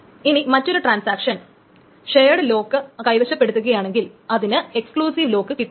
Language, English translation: Malayalam, And if another transaction holds a shared lock, it cannot get an exclusive lock in it